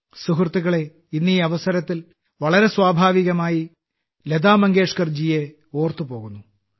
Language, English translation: Malayalam, Friends, today on this occasion it is very natural for me to remember Lata Mangeshkar ji, Lata Didi